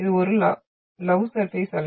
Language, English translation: Tamil, This is an love surface wave